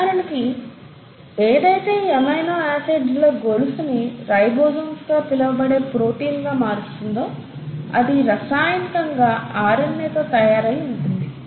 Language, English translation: Telugu, For example, the actual machinery which puts this entire chain of amino acids into a protein which you call as the ribosomes, is chemically made up of RNA